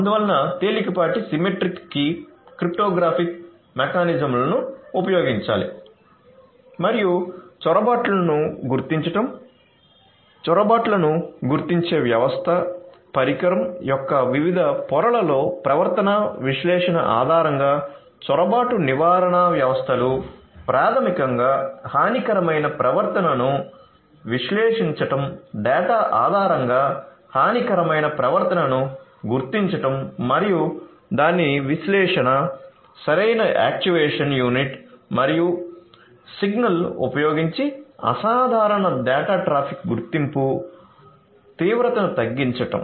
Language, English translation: Telugu, And so symmetric key cryptography lightweight symmetric key, cryptographic mechanisms should be used and also intrusion detection; intrusion detection you know coming up with intrusion detection system, intrusion prevention systems and based on behavioral analysis at different layers of the device you know basically analyzing the malicious behavior, detecting malicious behavior based on the data and it’s analysis, abnormal data traffic detection, mitigation using proper actuation unit and signal